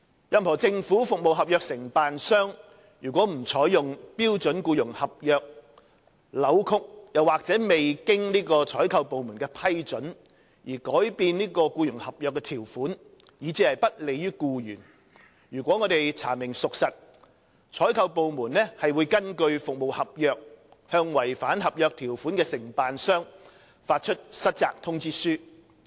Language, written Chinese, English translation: Cantonese, 任何政府服務合約承辦商如不採用標準僱傭合約、扭曲或未經採購部門的批准而改變僱傭合約的條款，以致其不利於僱員，如查明屬實，採購部門會根據服務合約，向違反合約條款的承辦商發出失責通知書。, If any contractor of government service contracts has failed to use the standard employment contract distorted or altered the terms of the employment contract without approval from the procuring department to the disadvantage of the employees and if the case is substantiated the procuring department will issue default notices to contractors for breaches of contractual terms in accordance with the service contracts